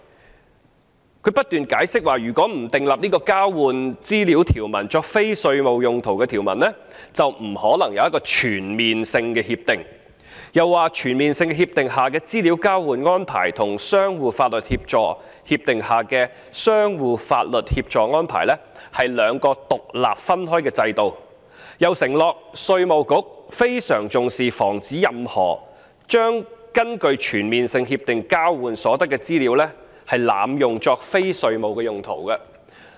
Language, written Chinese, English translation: Cantonese, 政府當局不斷解釋，如果不訂立這項交換資料作非稅務用途的條文，便不可能有一項全面性協定，又指全面性協定下的資料交換安排與相互法律協助協定下的相互法律協助安排，是兩個獨立分開的制度，又承諾稅務局非常重視防止任何濫用根據全面性協定交換所得的資料作非稅務用途的情況。, The Administration has repeatedly explained that there could be no CDTA without providing for the use of the information exchanged for non - tax related purposes . While pointing out that the exchange of information under CDTAs and the mutual legal assistance arrangement under the Mutual Legal Assistance Agreements are two separate regimes independent of each other the Administration also pledged that the Inland Revenue Department IRD will attach great importance to preventing abuse of the use of the information exchanged under CDTAs for non - tax related purposes